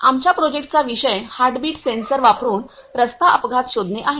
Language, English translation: Marathi, The topic of our project is road accident detection using heartbeat sensor